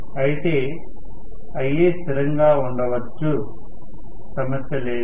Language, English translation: Telugu, But, Ia can remain as a constant, no problem